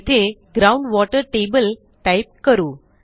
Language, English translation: Marathi, Here, lets type Ground water table